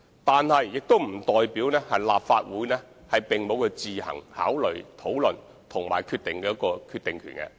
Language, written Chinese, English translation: Cantonese, 但是，這並不代表立法會沒有自行作出考慮、討論和決定的權力。, But this does not mean that the Legislative Council has no power to consider and discuss the issue and make a decision on its own